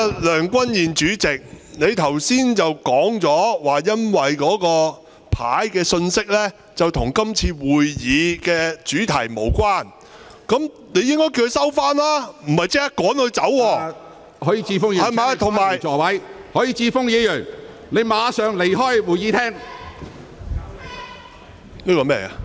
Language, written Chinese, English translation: Cantonese, 梁君彥主席，你剛才說朱凱廸議員的紙牌內容與今天會議的議題無關，那麼你應該先請他收起紙牌，而不是立即把他趕離會議廳。, President Andrew LEUNG just now you said that the statement on Mr CHU Hoi - dicks placard was irrelevant to the subject of our meeting today . If so you should have first asked him to put away his placard instead of expelling him from the Chamber right away